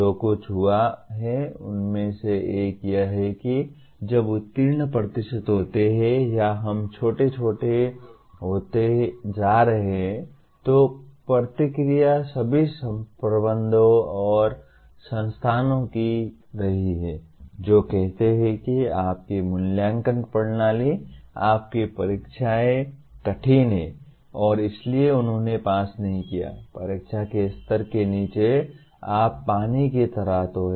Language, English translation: Hindi, One of the things that happened is, when the pass percentages are or let us are becoming smaller and smaller, then the reaction had been of all managements and institutions saying that, that your assessment system, your examinations are tough and that is why they did not pass so you kind of water down the level of the examination